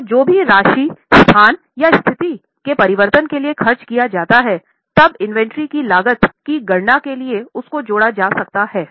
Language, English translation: Hindi, So, any amount which is spent for change of location or change of condition, then that can be added for calculating the cost of inventory